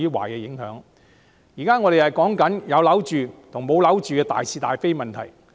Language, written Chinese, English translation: Cantonese, 我們現在討論的，是有否住屋等大是大非的問題。, What we are discussing right now are material issues such as the provision of a roof over peoples heads